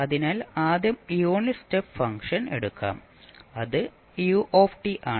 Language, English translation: Malayalam, So, first is let us say unit step function so that is ut